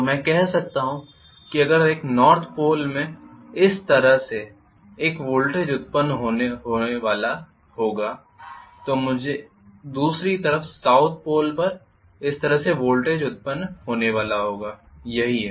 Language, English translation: Hindi, So I can say if I am going to have a voltage generated like this in a North Pole I will have on the other side voltage generated like this on the South Pole this is how it is